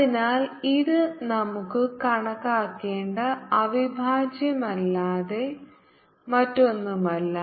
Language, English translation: Malayalam, so this is nothing but the integral which we have to calculate